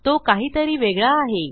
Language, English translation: Marathi, I think its something else